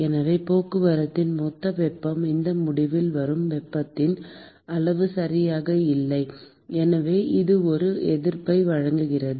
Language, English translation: Tamil, And therefore the total amount of heat that is transport is not exactly the amount of heat that comes at this end and therefore this offers a resistance